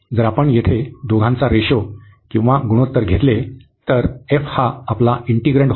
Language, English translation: Marathi, If we take the ratio of the 2 here, so f was our integrand